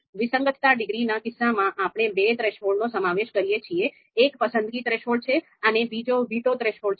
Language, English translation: Gujarati, So in the case of discordance degree, we typically involve two thresholds, one is the preference threshold, then another one being the veto threshold